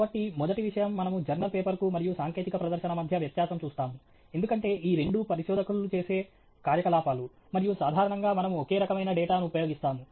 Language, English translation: Telugu, So, the first point, we will look at is technical presentation versus a journal paper, because both of these are activities that researchers do, and, typically, we are using the same kind of data